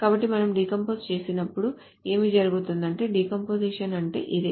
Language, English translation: Telugu, So what will happen is that when we decompose this is what the decomposition will say